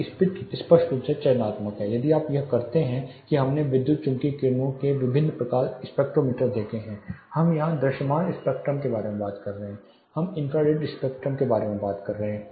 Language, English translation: Hindi, These are spectrally selective, if you recollect we saw different spectrums of the electromagnetic rays one we are talking about is visible spectrum here we are talking about the infrared spectrum